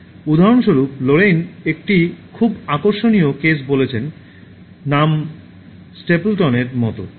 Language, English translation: Bengali, So Lorayne for example gives a very interesting case, the name like Stapleton